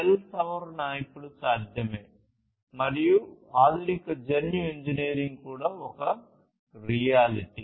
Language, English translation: Telugu, Cell modification is possible now, and also advanced genetic engineering is a reality